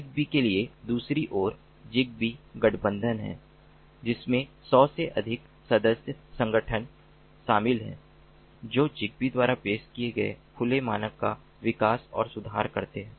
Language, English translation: Hindi, on the other hand, for zigbee, there is zigbee alliance that consists of more than hundred member organizations that use, develop and improve the open standard that is offered by zigbee